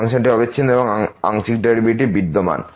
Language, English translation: Bengali, The function is continuous and also partial derivatives exist